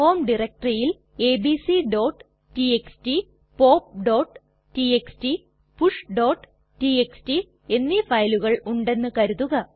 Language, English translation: Malayalam, Suppose we have 3 files named abc.txt, pop.txt and push.txt in our home directory